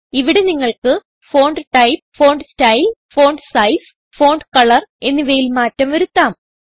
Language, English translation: Malayalam, Here you can change the Font type, Font style, font Size and font Color